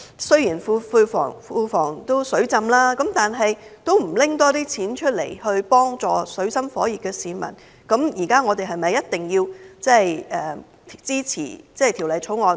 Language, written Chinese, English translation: Cantonese, 雖然現在政府庫房儲備充裕，但政府卻不多撥款項幫助水深火熱的市民，我們是否一定要支持《條例草案》？, If the Government fails to make use of its huge fiscal reserves to help the people in distress should we support the Bill?